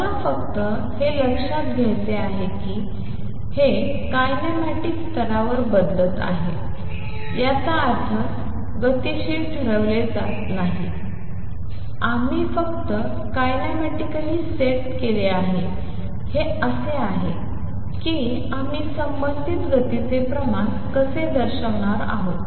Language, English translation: Marathi, I just want to note this is changed at the kinematics level; that means, kinetics is not is decided we just set kinematically this is how we are going to represent the quantities how about the corresponding velocity